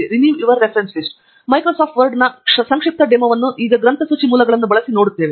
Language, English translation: Kannada, We will see a brief demo of Microsoft Word using bibliographic sources now